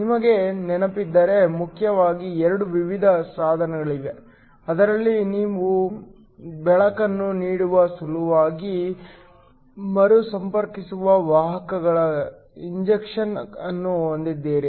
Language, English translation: Kannada, If you remember, there are mainly 2 kinds of devices, those in which you have an injection of carriers that recombine in order to give you light